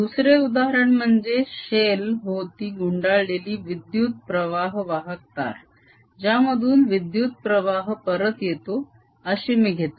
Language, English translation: Marathi, next example: i will take a current carrying wire enclosed in a shell through which the current comes back